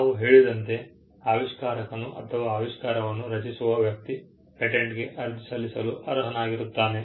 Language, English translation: Kannada, As we mentioned, the inventor is the person who creates the invention and he is the person who is entitled to apply for a patent